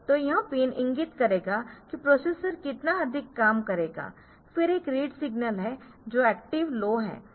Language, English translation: Hindi, So, this pin will the, indicate what more the processor will operate in there is a read signal which is active low